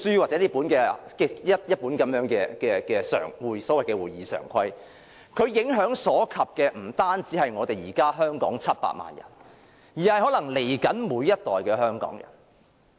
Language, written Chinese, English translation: Cantonese, 這本小冊子、這本所謂會議常規，影響所及的不止是現時700萬名香港人，可能是日後每一代香港人。, This small book containing the so - called standing orders affects not only the existing 7 million Hongkongers . It may affect each and every generation of Hongkongers in future